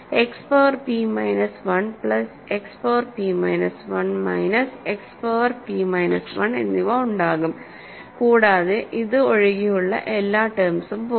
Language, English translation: Malayalam, There will be an X power p minus 1, plus X power p minus 1, minus X power p minus 1 and you will cancel all the terms except this